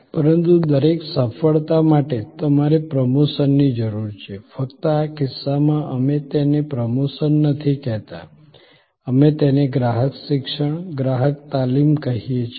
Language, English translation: Gujarati, But, for each success, you need promotion, only in this case, we do not call it promotion, we call it customer education, customer training